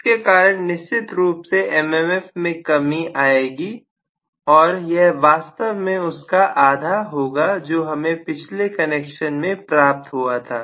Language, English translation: Hindi, So, I am going to have a reduction in the M M F for sure and that is going to be actually halved compared to what I had in the previous connection